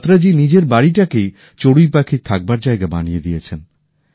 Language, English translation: Bengali, Batra Ji has turned his own house into home for the Goraiya